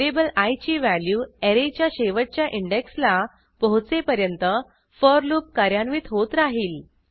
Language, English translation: Marathi, The for loop will execute till the value of i variable reaches the last index of an array